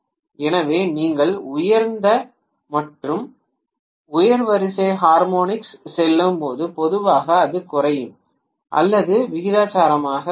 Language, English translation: Tamil, So, as you go to higher and the higher order harmonics generally it will be decreased or diminishing proportionately